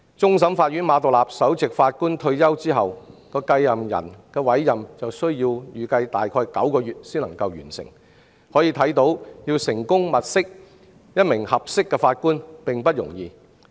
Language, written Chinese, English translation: Cantonese, 終審法院馬道立首席法官退休後的繼任人就預計需要最少9個月才能完成委任，可見要物色一名合適的法官並不容易。, Upon the retirement of the Honourable Chief Justice Geoffrey MA the appointment of his successor is expected to take at least nine months . This example shows how difficult it is to look for a competent Judge